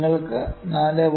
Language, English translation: Malayalam, We can have 4